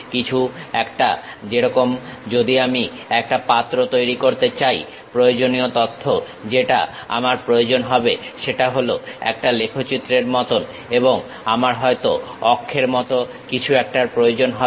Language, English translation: Bengali, Something like, if I want to make a pot, the essential information what I require is something like a curve and I might be requiring something like an axis